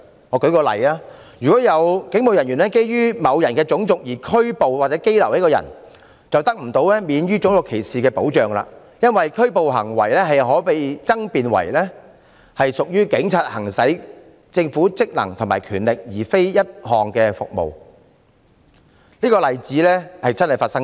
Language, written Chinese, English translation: Cantonese, 我舉個例子，如果有警務人員基於某人的種族而拘捕和羈留他，該人得不到免於種族歧視的保障，因為拘捕行為可被爭辯為警察行使政府職能和權力，而非一項服務，這個例子確曾發生過。, If a police officer arrested and detained a person on the ground of his race the person will not be protected against racial discrimination . The reason is that the act of arrest can be argued as one committed by the Government in the performance of its functions or the exercise of its powers and not in the provision of a service . The situation in this example has actually occurred